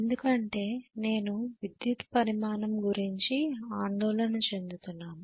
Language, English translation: Telugu, Because I am worried about the electrical quantity